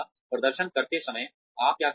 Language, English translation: Hindi, How do you manage performance